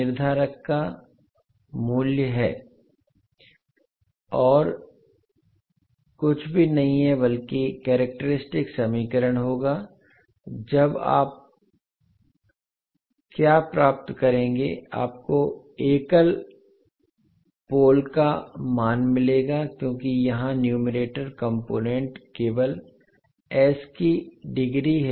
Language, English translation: Hindi, That would be nothing but characteristic equation then what will you get, you will get the value of single pole because here this is the numerator component is only containing the degree of s as 1